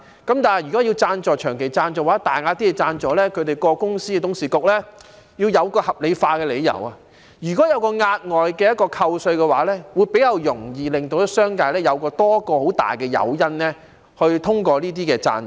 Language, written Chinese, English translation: Cantonese, 但是，如果是長期贊助或大額贊助，有關公司的董事局便要有合理理由，例如額外扣稅，這樣會比較容易，而商界亦會有多一個很大的誘因通過這些贊助。, However if a long - term sponsorship or a large sponsorship is to be granted the board of directors of the company concerned will need a valid justification such as an offer of additional tax deduction . It will be easier then and the business sector will have a great incentive to approve such sponsorships